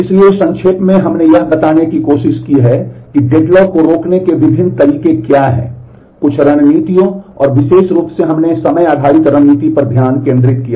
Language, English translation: Hindi, So, to summarize we have tried to take a look into explaining what are the different ways to prevent deadlock; Some of the strategies and specifically we focused on the time based strategy